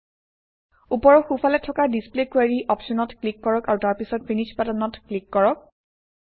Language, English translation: Assamese, Let us click on the Display Query option on the top right side and click on the Finish button